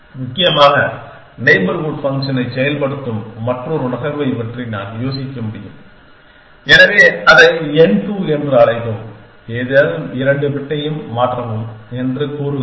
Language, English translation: Tamil, Essentially, I can think of another move them function neighbor function, so just call it n two and it says change any two bit